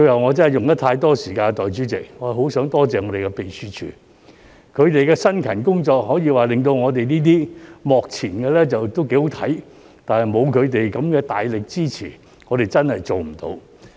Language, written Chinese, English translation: Cantonese, 我真的用了太多時間，代理主席，我最後很想多謝秘書處，他們的辛勤工作，可以說令到我們這些幕前的"幾好睇"，但沒有他們的大力支持，我們真的做不到。, Finally I wish to thank the Secretariat . It can be said that their hard work has enabled us to put up a good show on the front stage . Without its strenuous support this will have become impossible